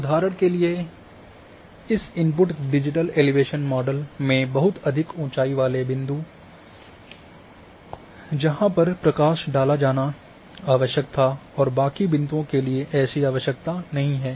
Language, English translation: Hindi, Like for example, in this input digital elevation model at very high elevation points where required to be highlighted and rest were and not required at all